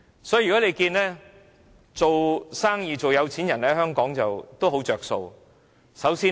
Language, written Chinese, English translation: Cantonese, 所以，在香港做生意或做有錢人有很多好處。, Therefore it is really good to be businessmen or rich people in Hong Kong